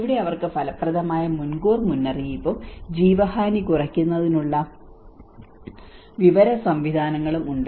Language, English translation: Malayalam, Here they have effective early warning and the information mechanisms in place to minimise the loss of life